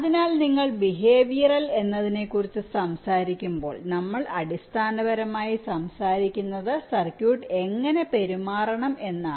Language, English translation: Malayalam, so when you talk about behavioral, we basically, ah, talking about how circuit is suppose to behave